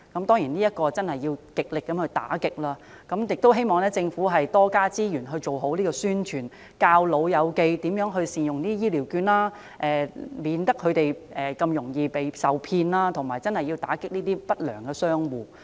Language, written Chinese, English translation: Cantonese, 當然，這些情況要極力打擊，我亦希望政府能夠增加資源，多作宣傳，教長者善用醫療券，免得他們受騙，並打擊不良商戶。, Such cases certainly need cracking down but I also hope that the Government will allocate more resources to carry out more publicity campaigns to teach elderly people how to use the vouchers properly and avoid getting scammed